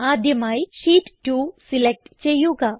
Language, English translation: Malayalam, First, let us select sheet 2